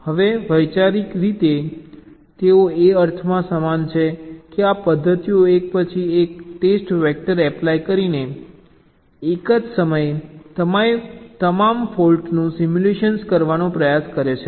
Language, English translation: Gujarati, now, conceptually they are similar in this sense that these methods try to simulate all the faults at the same time, together with test vectors applied on after the other